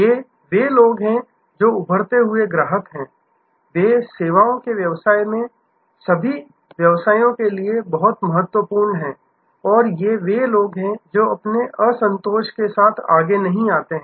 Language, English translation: Hindi, These are the people, who are the emerging customers; they are very, very important for all businesses in services businesses and these are the people, who do not come forward with their dissatisfaction